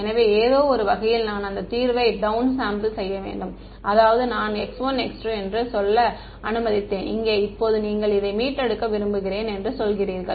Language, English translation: Tamil, So, in some sense I have to down sample that solution I mean I have let us say x 1 x 2 here, now you are saying I want to retrieve this at a